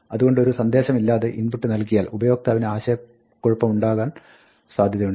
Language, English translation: Malayalam, So, providing an input prompt without a message can be confusing for the user